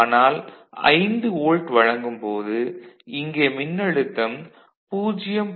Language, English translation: Tamil, And when you present a 5 volt what will be the voltage here